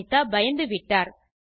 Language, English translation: Tamil, Anita gets scared